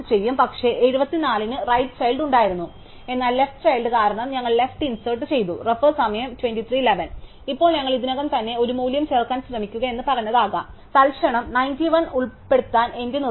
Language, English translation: Malayalam, But, 74 had a right child, but we inserted something to it is left, because left child Now, it could be that we said try to insert a value that is already there, for instants in my prompt to insert 91